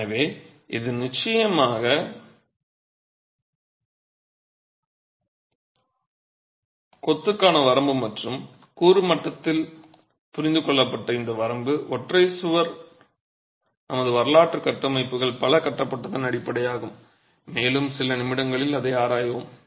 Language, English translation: Tamil, So, this is definitely the limitation of masonry and this limitation understood at the component level, a single wall, is the basis with which many of our historical structures have been constructed and we will examine that in a few minutes